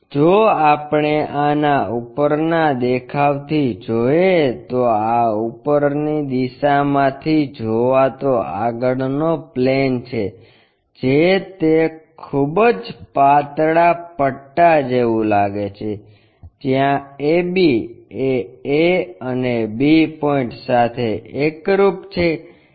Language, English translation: Gujarati, If we are looking from top view of this, this is the frontal plane from top view it looks like a very thin strip, where a b coincides to a and b points